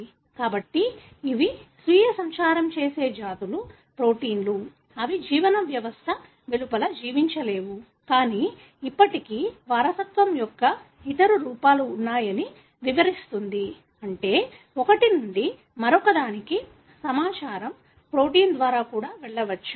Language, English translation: Telugu, So, these are self propagating species Proteins of course, they cannot live outside a living system, but still that explains that there are other forms of inheritance, meaning from one to the other the information can go through protein as well